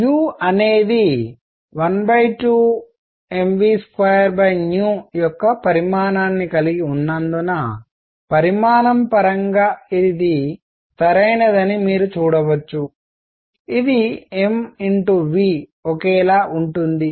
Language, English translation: Telugu, You can see this is dimensionally correct because u has a dimension of one half m v square divided by v; which is same as m v